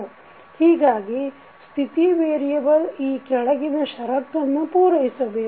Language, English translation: Kannada, So state variable must satisfy the following conditions